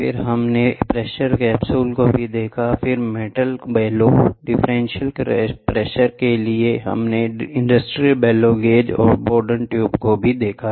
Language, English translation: Hindi, Then we also saw pressure capsules then metal bellows, then for differential pressure industrial bellow gauge we saw and Bourdon tubes we saw